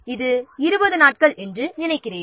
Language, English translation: Tamil, I think this is 20 days